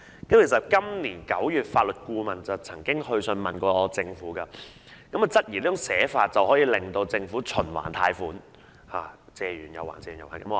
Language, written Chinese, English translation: Cantonese, 法律顧問今年9月曾致函政府，質疑這種寫法令政府可以循環貸款，重複不斷。, This September the Legal Adviser wrote to the Government with queries about the way it was drafted which might enable the Government to borrow on a revolving basis over and over again